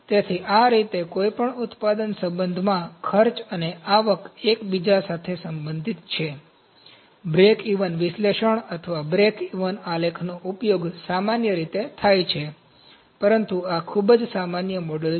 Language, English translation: Gujarati, So, this is how the cost and revenue are related to each other in any manufacturing concern, breakeven analysis or breakeven chart is very commonly used, but this is the very common model